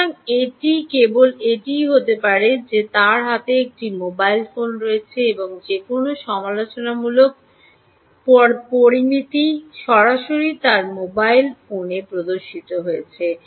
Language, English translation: Bengali, so it could be just that he has a mobile phone in his hand and any critical parameters actually displayed directly on his mobile phone